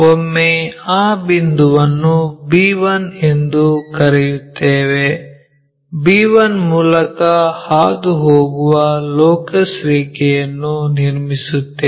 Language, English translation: Kannada, Once, we have that call that point as b 1, draw a locus line, passing through b 1